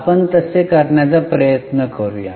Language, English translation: Marathi, Let us try to do that